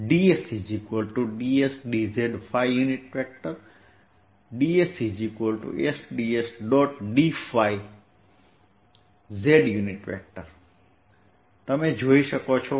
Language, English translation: Gujarati, you can see this as units of distance square